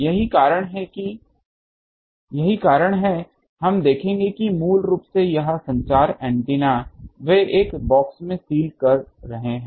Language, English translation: Hindi, That is why we will see that basically this communication antennas they are sealed in a box